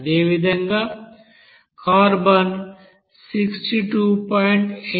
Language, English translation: Telugu, Similarly, carbon it is 62